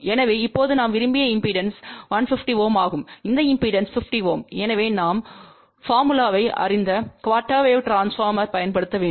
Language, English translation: Tamil, So, now we want desired impedance at this point is 150 ohm this impedance is 50 ohm, so we need to use a quarter wave transformer we know the formula